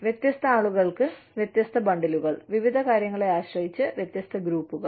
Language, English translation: Malayalam, Different bundles for different people, different groups, depending on various things